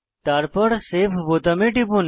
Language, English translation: Bengali, Then click on Save button